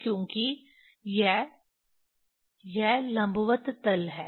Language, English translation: Hindi, Because this, this is the perpendicular plane